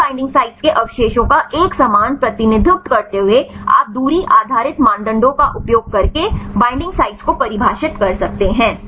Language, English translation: Hindi, While having the uniform representation of these binding sites residues right you can define the binding sites using distance based criteria